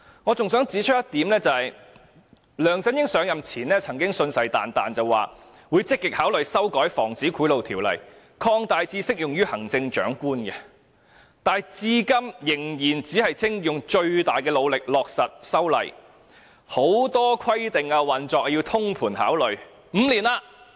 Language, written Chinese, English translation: Cantonese, 我還想指出一點，梁振英上任前曾經信誓旦旦說，他會積極考慮修改《防止賄賂條例》，把涵蓋範圍擴大至適用於行政長官，但他至今仍然只說會盡最大努力落實修例，很多規定是要經過通盤考慮的。, I would also like to point out that before assuming office LEUNG Chun - ying sincerely pledged that he would actively consider amending the Prevention of Bribery Ordinance to extend the scope of application to the Chief Executive . Up till now he is still saying that he would make all - out effort to amend the Ordinance but many provisions require consideration in a holistic manner